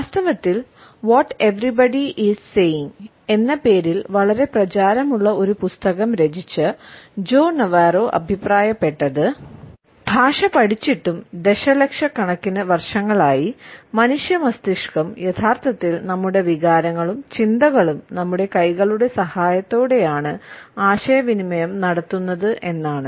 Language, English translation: Malayalam, In fact, Joe Navarro who has authored a very popular book entitled, What Everybody is Saying has commented that despite having learnt language, over millions of years, human brain is still hardwired to actually, communicating our emotions and thoughts and sentiments with the help of our hands